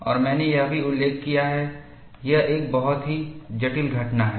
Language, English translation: Hindi, And I also mentioned, it is a very complex phenomenon